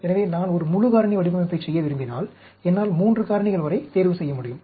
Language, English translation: Tamil, So, we can, if I want to do a full factorial design, I select, I can do up to 3 factors